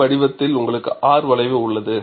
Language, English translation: Tamil, And you have a R curve in this shape